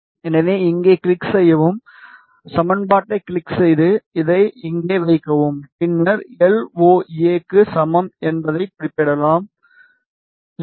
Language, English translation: Tamil, So, click on here, click on equation, place it here and then specify LAO is equal to LAO is 0